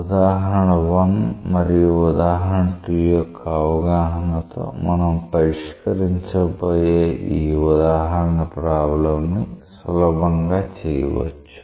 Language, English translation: Telugu, With understanding of example 1 and example 2, this example problem that we are going to solve it will be easy for us to appreciate